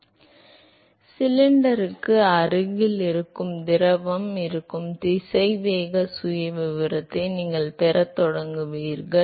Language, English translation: Tamil, So, you will start having a profile a velocity profile where the fluid which is close to the cylinder